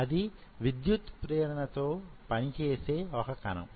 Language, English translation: Telugu, It is a electrically active cells